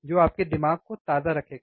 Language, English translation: Hindi, That will keep your mind a fresh, right